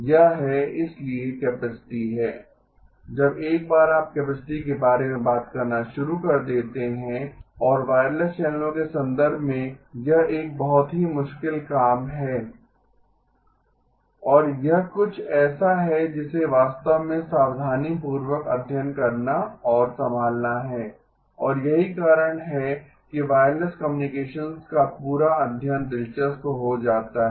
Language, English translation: Hindi, It is, so capacity, when once you start talking about capacity and in the context of wireless channels is a very tricky thing and it is something that has to be really carefully studied and handle and that is why the whole study of wireless communications becomes interesting